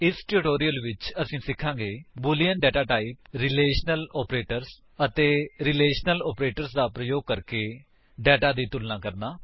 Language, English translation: Punjabi, In this tutorial, we will learn about the boolean data type, Relational operators and how to compare data using Relational operators